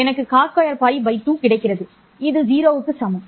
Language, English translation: Tamil, I get cos square of pi by 2, which is equal to 0